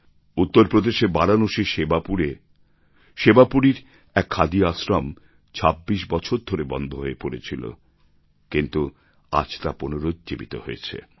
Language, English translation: Bengali, Sewapuri Khadi Ashram at Varanasi in Uttar Pradesh was lying closed for 26 years but has got a fresh lease of life now